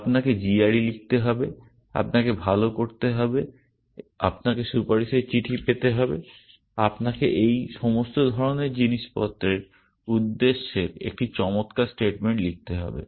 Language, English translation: Bengali, You need to write g r e, you need to do well, you need to get recommendation letters, you have to write a excellent statement of purpose all this kind of stuffs